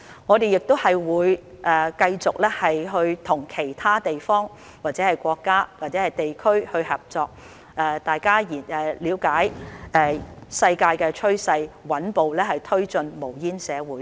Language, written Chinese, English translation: Cantonese, 我們亦會繼續和其他國家與地區合作，了解世界的趨勢，穩步推進無煙社會。, We will also continue to work with other countries and regions to understand the global trend and promote a smoke - free society step by step